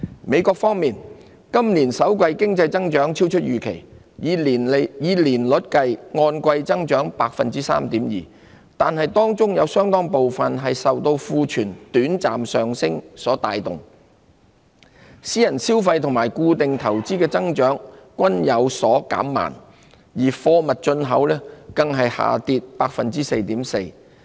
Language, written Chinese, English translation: Cantonese, 美國方面，今年首季經濟增長超出預期，以年率計按季增長 3.2%， 但當中有相當部分是受庫存短暫上升所帶動，私人消費及固定投資的增長均有所減慢，而貨物進口更下跌 4.4%。, In the United States economic growth in the first quarter of this year beat expectations with an annualized gain of 3.2 % quarter on quarter . However it was driven largely by a temporary surge in inventory . The growth in private consumption and fixed investment both slowed while imports of goods plummeted by 4.4 %